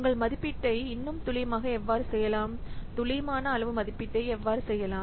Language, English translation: Tamil, So, how you can still make your estimation more accurate, how you can do accurate size estimation